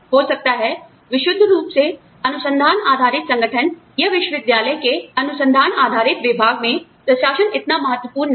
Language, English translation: Hindi, Maybe, in a purely research based organization, or a research based department, in a university, administration may not be, so important